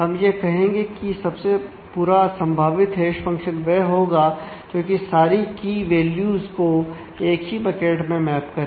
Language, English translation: Hindi, So, we will say that the worst possible hash function is one which maps all key values to the same bucket